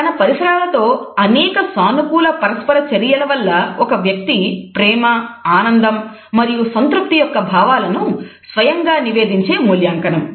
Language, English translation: Telugu, It is an individual’s, self reported evaluation of feelings of love or joy or pleasure and contentment and it comes from several positive interactions within environmental stimuli